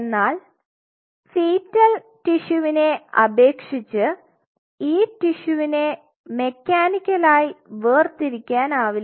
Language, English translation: Malayalam, So, in the case of fetal you can mechanically dissociate the tissue